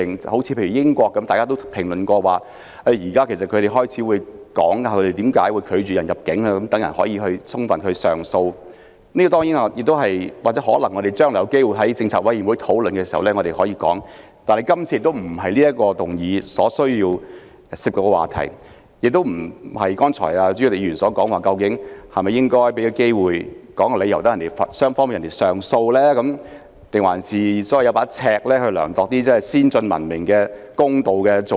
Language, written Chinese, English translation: Cantonese, 正如大家亦曾談及英國現時會說明因何拒絕某人入境，讓人可以提出上訴，這些我們將來有機會或許可以在政策委員會上討論，但這並非今次議案所涉及的話題，亦非代理主席李議員剛才所說，是否應該給予申請人機會，說出理由，讓他能上訴？還是應否有一把尺，量度先進、文明和公道的做法？, As mentioned by some Members the United Kingdom explains the reason for refusing the entry of certain persons so that the persons concerned can appeal against the decision . As these issues can be discussed at committees on policy matters should opportunities arise in the future they are irrelevant to the subject of the motion today; neither are they related to the question raised by Deputy President Ms Starry LEE on whether the reasons should be made known to the applicant for filing an appeal; or whether there should be a yardstick to measure if the practice is advanced civilized and fair